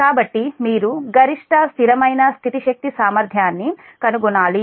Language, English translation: Telugu, so you have to find out the maximum steady state power capability